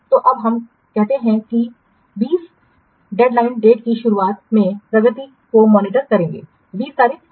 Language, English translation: Hindi, So, now let's say we'll observe the progress on the beginning of the 20th day, 20th day, or 20th day